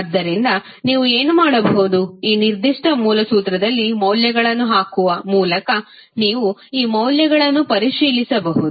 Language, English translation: Kannada, So what you can do, you can verify these values by putting values in this particular original formula